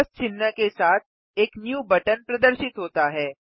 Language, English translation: Hindi, A new button with a plus sign has appeared